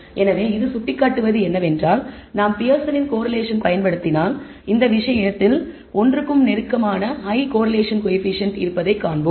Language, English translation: Tamil, So, what it seems to indicate is that if we apply the Pearson’s correlation and we find the high correlation coefficient close to one in this case